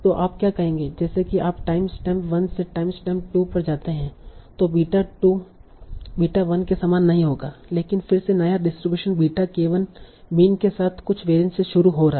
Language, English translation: Hindi, So what you will say as you go from time 1 to time step 2, the next beta will not be the same as the beta 2 will not be the same as beta 1 but will be again a distribution starting from with the mean of beta k1 with some variance